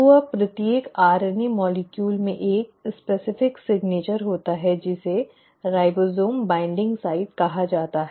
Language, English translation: Hindi, So now each RNA molecule also has a specific signature which is called as the ribosome binding site